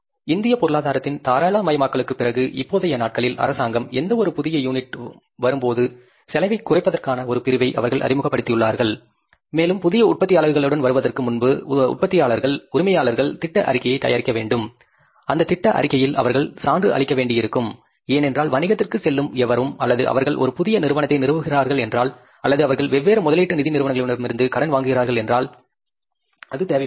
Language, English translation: Tamil, These days, government after liberalization of Indian economy, they have introduced one clause for the, say, reduction of the cost that any new unit when comes up and before coming up the new production unit, the owners have to get the project report prepared and in that project report, they will have to certify maybe because anybody who is going into the business or they are establishing a new enterprise, they will be borrowing money from the different investment finance institutions